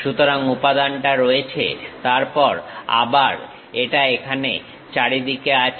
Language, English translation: Bengali, So, material is present, then again it comes all the way here